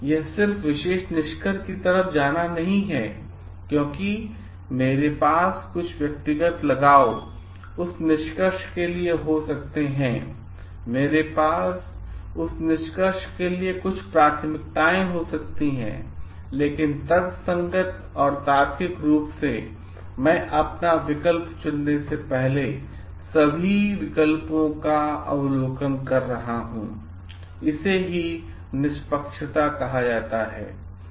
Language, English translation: Hindi, It is not just jumping into particular conclusion because I may have some personal attachment to that conclusion, I may have some preferences for that conclusion, but rationally and logically going through all the alternatives before I choose my alternative is called fairness